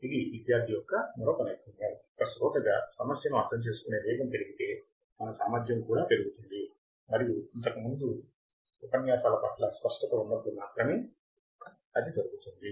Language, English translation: Telugu, This is another skill that as a student, as a listener, we should develop that if the speed is increased our capability of understanding the problem should also increase and that can increase only when we are clear with the earlier lectures